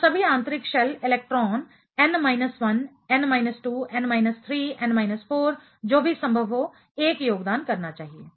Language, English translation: Hindi, So, all the inner shell electrons n minus 1, n minus 2, n minus 3, n minus 4 whatever possible should contribute 1